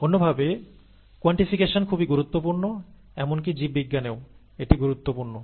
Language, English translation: Bengali, In other words, quantification is important; quantification is important in biology also